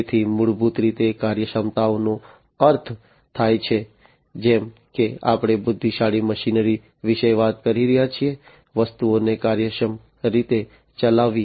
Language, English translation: Gujarati, So, basically efficiency means like, we are talking about intelligent machinery, performing things efficiently